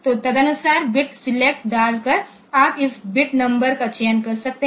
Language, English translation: Hindi, So, you can select this bit numbers by putting this bit select accordingly